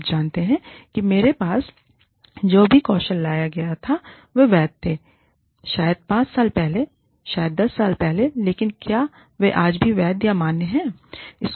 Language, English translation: Hindi, So, you know, whatever skills i brought with me, were valid, maybe 5 years ago, maybe 10 years ago, but are they still valid, today